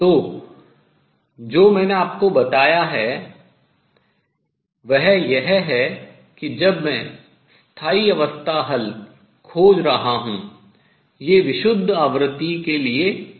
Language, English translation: Hindi, So, what I have told you is that when I am looking for stationary state solutions, these are not for pure frequency